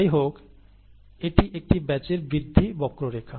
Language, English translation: Bengali, By the way, this is a typical batch growth curve